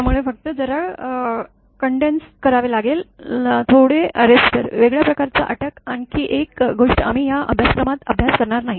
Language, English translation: Marathi, So, only little bit arrestor, different type of arrest another thing we will not study in this course